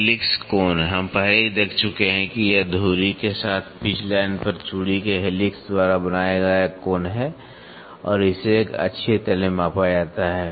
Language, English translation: Hindi, Helix angle, we have already seen it is the angle made by the helix of the thread at the pitch line with the axis this is and it is measured in an axial plane